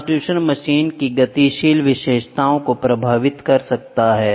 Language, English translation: Hindi, The transducer may affect the dynamic characteristics of the machine